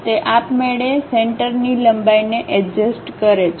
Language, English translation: Gujarati, It automatically adjusts that center line length